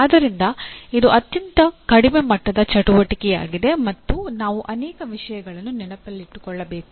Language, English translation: Kannada, So this is a lowest level activity and we require to remember many things